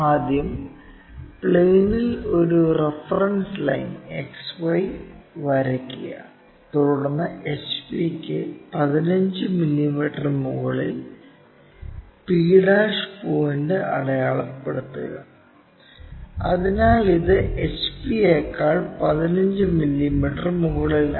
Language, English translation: Malayalam, First draw a reference line XY on the plane, then mark a point p' 15 mm above HP, so this is 15 mm above that HP